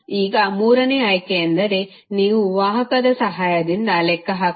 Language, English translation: Kannada, Now third option is that you can calculate with the help of conductance